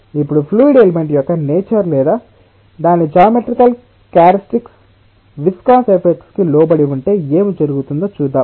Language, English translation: Telugu, now let us say that what happens to the nature of the fluid element or its geometrical characteristics if it is subjected to viscous effect